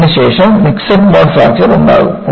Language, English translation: Malayalam, This will be followed by Mixed mode Fracture